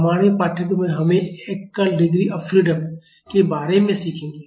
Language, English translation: Hindi, In our course we will be learning about single degree of freedom systems